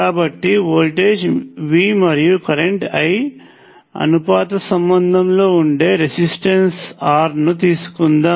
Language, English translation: Telugu, So, let us take resistor the voltage V and current I R related by a proportionality relationship